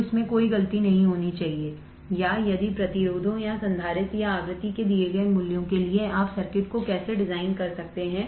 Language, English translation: Hindi, So, there should be no mistake in this or if for the given values of resistors or capacitor or frequency how you can design the circuit